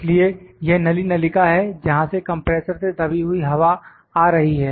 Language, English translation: Hindi, So, this is the tube pipe from which compressed air is coming from the compressor